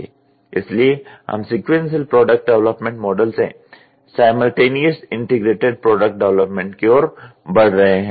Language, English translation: Hindi, So, we are moving towards simultaneous integrated product development from sequential product development model